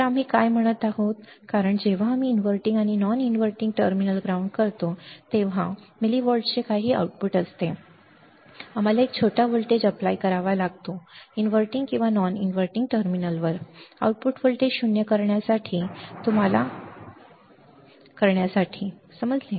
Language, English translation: Marathi, So, what we are saying that because the output when we ground the inverting and non inverting terminal because there is some output of millivolts, we have to apply we have to apply a small voltage at either inverting or non inverting terminal at either inverting or non inverting terminal to make the output voltage 0, you got it